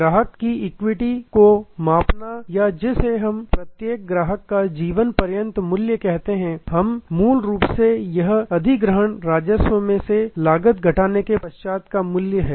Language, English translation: Hindi, Measuring the customer equity or what we call life time value of each customer, we it is a basically acquisition revenue less costs